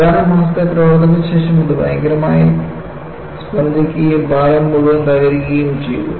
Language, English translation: Malayalam, After a few months of operation, it violently vibrated and the whole bridge collapsed